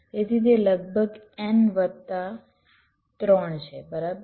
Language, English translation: Gujarati, this will be n multiplied by t